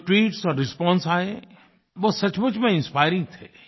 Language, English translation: Hindi, All tweets and responses received were really inspiring